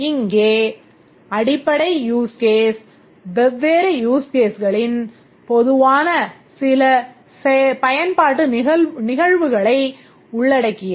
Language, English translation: Tamil, Here the base use case includes some use case which is common across different functions, different use cases